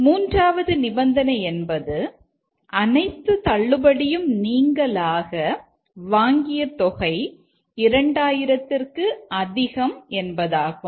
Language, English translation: Tamil, This is the third condition is that the purchase amount after all discount exceeds 2000